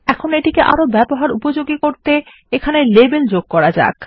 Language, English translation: Bengali, Now lets make it a bit more user friendly and type out labels here